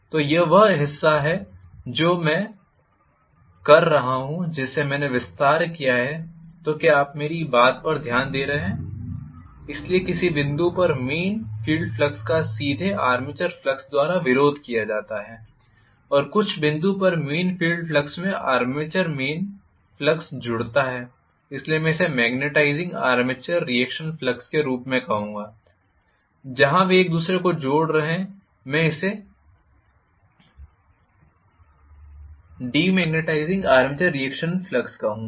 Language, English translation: Hindi, So, this is this portion that I am talking about which I have enlarged, are you getting my point, so at some point the main field flux is directly opposed by the armature flux at some point the main field flux adds up to the actually main the armature flux, so I would call this as magnetizing armature reaction flux where they are adding each other, I would call this as demagnetizing armature reaction flux